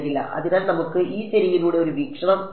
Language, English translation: Malayalam, So, let us take a view along this ok